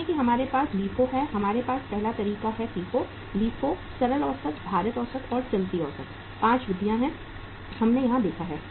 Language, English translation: Hindi, See we have LIFO, we have first method is FIFO, LIFO, simple average, weighted average, and the moving average; 5 methods are there, we have seen here